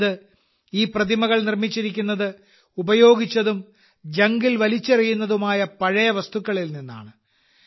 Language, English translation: Malayalam, That means these statues have been made from used items that have been thrown away as scrap